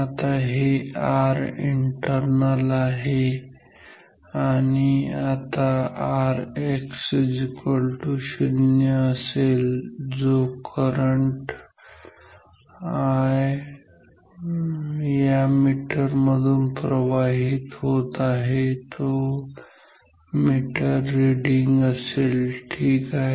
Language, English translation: Marathi, Now, this is R internal; now if R X is equal to 0, then the current that will flow I through this meter that are the meter reading ok